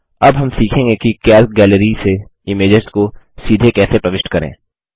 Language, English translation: Hindi, Now we will learn how to insert images directly from the Calc Gallery